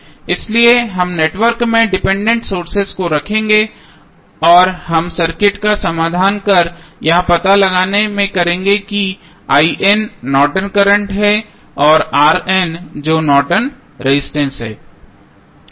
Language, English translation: Hindi, So, we will keep the dependent sources in the network and we will solve the circuits to find out the value of I N that is Norton's current and R N that is Norton's resistance